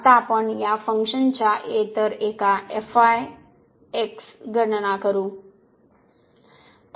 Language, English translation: Marathi, Now you will compute the other one of this function